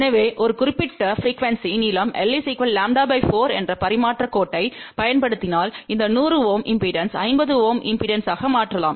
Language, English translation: Tamil, So, if we use a transmission line of length lambda by 4 at a given frequency , then we can transform this 100 Ohm impedance to 50 Ohm impedance